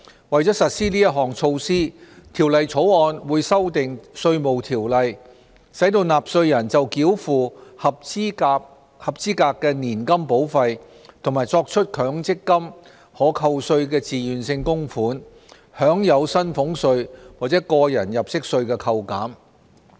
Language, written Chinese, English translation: Cantonese, 為實施此項措施，《條例草案》會修訂《稅務條例》，使納稅人就繳付合資格年金保費和作出強積金可扣稅自願性供款，享有薪俸稅或個人入息稅扣減。, In order to implement this measure the Bill will amend the Inland Revenue Ordinance to the effect that taxpayers can enjoy tax deductions under salaries tax and personal assessment for the payment of eligible annuity premiums and the making of MPF Tax Deductible Voluntary Contributions TVCs